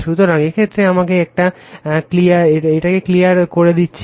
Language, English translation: Bengali, So, in this case, you are just let me clear it